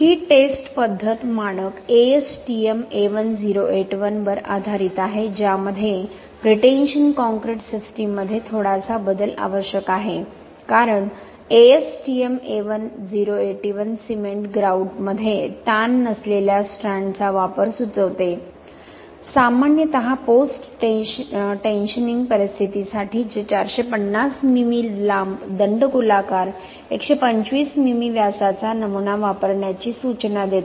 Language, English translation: Marathi, This test method is based on the standard ASTM A1081 with a slight modification required for pretension concrete systems, because the ASTM A1081 suggest the use of unstressed strands in cement grout, just typically for the post tensioning scenario which suggest the use of 450 mm long cylindrical specimen with 125 mm diameter